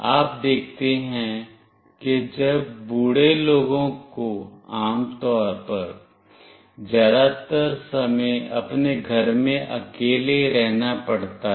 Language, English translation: Hindi, You see when old people generally have to stay back in their house alone most of the time